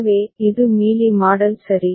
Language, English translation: Tamil, So, this was the Mealy model ok